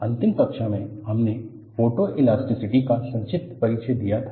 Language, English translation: Hindi, In the last class, we had a brief introduction to Photoelasticity